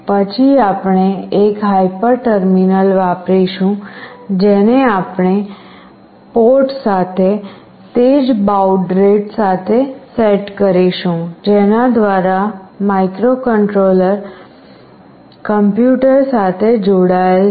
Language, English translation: Gujarati, Then we will use one hyper terminal, which we will set with the same baud rate with the port through which the microcontroller is connected with the PC